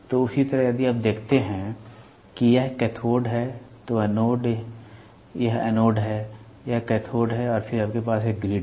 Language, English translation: Hindi, So, same way if you see that it is cathode, anode this is anode, this is cathode and then you have a grid